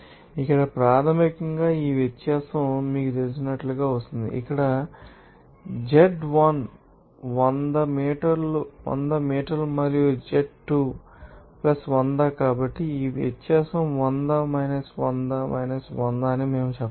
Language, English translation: Telugu, This is basically this difference is coming as you know that here, z1 is 100 meter and z2 is + hundred so, we can say that this difference will be 100 of 100